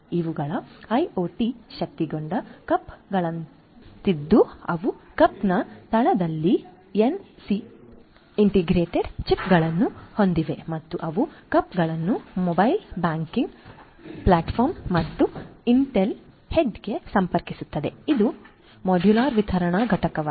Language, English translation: Kannada, These are sort of like IoT enabled cups which have NFC integrated chips at the base of the cup and they connect the cups to the mobile banking platform and IntelliHead which is a modular dispensing unit